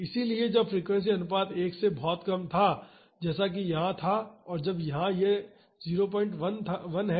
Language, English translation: Hindi, So, when the frequency ratio was much less than 1 that is in the case here when it was here it is 0